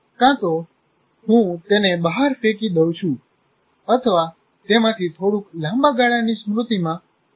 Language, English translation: Gujarati, Either I throw it out or only put a bit of that into transfer it to the long term memory